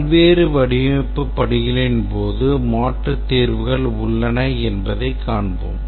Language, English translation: Tamil, During the various design steps we will see that alternate solutions are possible